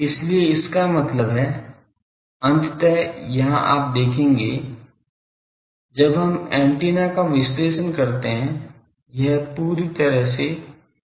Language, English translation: Hindi, So, that; that means, ultimately here you see when we analyse the antenna; it is a completely field theory concept